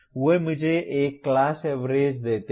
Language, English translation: Hindi, They give me one class average